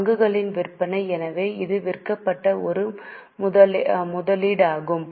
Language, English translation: Tamil, So, it is an investment which has been sold